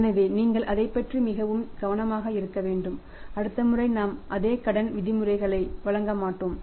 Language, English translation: Tamil, So, you have to be very careful about that and next time we will not be giving you the same credit terms